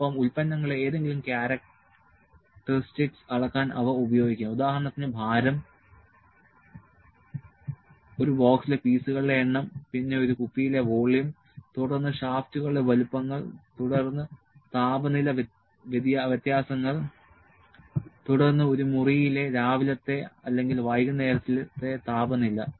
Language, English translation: Malayalam, And they can be used to measure any characteristic of products such as weight, number of pieces in a box, then volume in a bottle, then sizes of the shafts, then the temperature differences, then the temperature in a room in the morning or in the evening